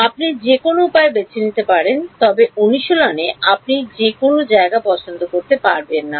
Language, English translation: Bengali, You can choose any way you want, but in practice you will not get to choose anywhere you want